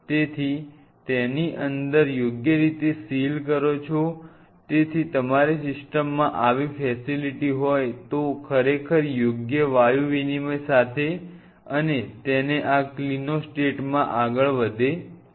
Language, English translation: Gujarati, So, the inside it seals properly with of course, proper gaseous exchange and it is moving in this clinostat